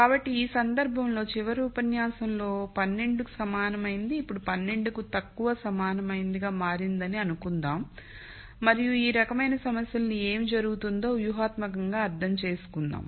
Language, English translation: Telugu, So, in this case let us assume what was equal to 12 in the last lecture has now become less than equal to 12 and let us understand intuitively what happens to problems this of this type